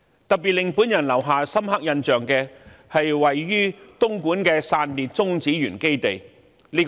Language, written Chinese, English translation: Cantonese, 特別令我留下深刻印象的，是位於東莞的中國散裂中子源基地。, The China Spallation Neutron Source facility in Dongguan is the most impressive to me